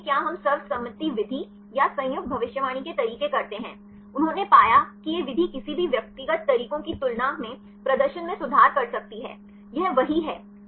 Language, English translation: Hindi, See if we do this consensus method or the joint prediction methods; they found that this method could improve the performance compared with any individual methods; this is one